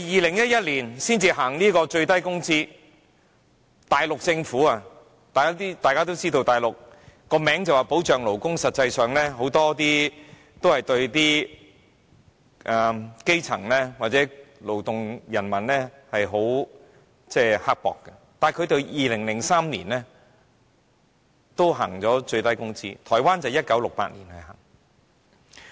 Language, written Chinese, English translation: Cantonese, 大家也知道，即使是內地政府，雖然其名義上說保障勞工，但實際上對基層和勞動人民都很刻薄，但它在2003年也制訂了最低工資，台灣則是在1968年實施。, As Members all know even for the Mainland Government which is actually very mean to the grass - roots people and workers even though it claims to be committed to labour protection it put in place a minimum wage in 2003 and in Taiwan the same has been implemented since 1968